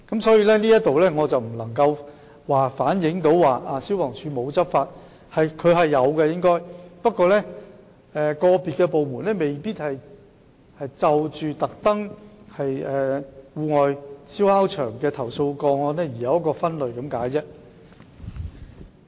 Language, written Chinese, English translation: Cantonese, 所以，這並非反映消防處沒有執法，消防處應該是有執法的，只不過個別部門未必會特別就戶外燒烤場的投訴個案作出分類而已。, Hence it does not mean that FSD did not take any enforcement action . FSD has taken enforcement actions . It is only that individual departments may not especially create a category for complaints about outdoor barbecue sites